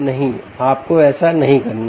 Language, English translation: Hindi, no, you dont have to do that